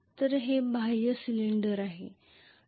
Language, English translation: Marathi, So it will be the external cylinder